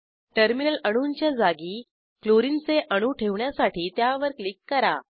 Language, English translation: Marathi, Click on the terminal atoms to replace them with Clorine atoms